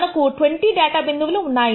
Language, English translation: Telugu, We have 20 data points